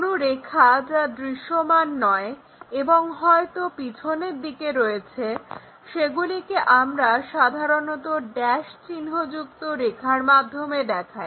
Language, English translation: Bengali, Any any lines which are not visible and maybe perhaps at the back side, we usually show it by dashed lines